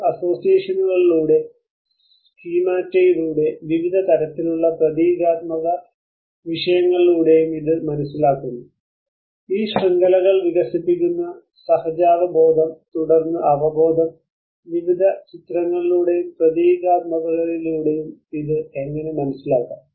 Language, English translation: Malayalam, It is lived through various associations through schemata through also measures through various symbolic aspects and this kind of understanding where we have the intellect which conceives this, the instincts which develops this networks and then the intuitions, how it is understood through various images and the symbolic aspects